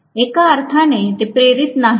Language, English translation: Marathi, In one sense, they are not induced